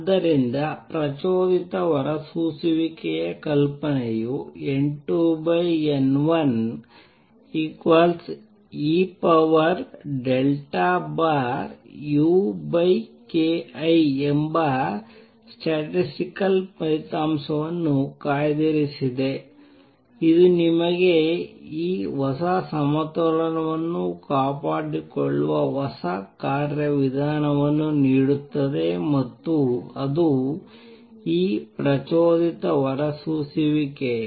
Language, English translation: Kannada, So, not only the idea of a stimulated emission reserves the statistical result that N 2 over N 1 is E raise to minus delta over u over k T it also gives you a new mechanism through which this equilibrium is maintained and that is these stimulated emission